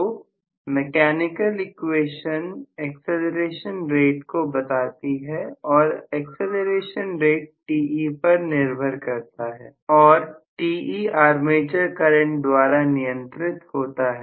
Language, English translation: Hindi, So mechanical equations govern the acceleration rate and the acceleration rate also depends upon Te and Te is governed by armature current